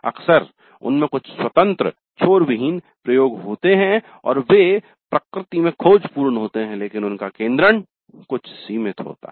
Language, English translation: Hindi, Often they have certain open ended experimentation and they are exploratory in nature but they do have certain limited focus